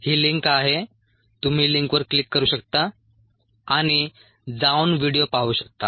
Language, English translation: Marathi, you can click on the link and go and see the video